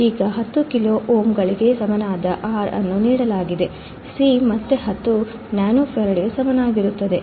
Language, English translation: Kannada, Now, R equal to 10 kilo ohms is given; C equals to 10 nanofarad again given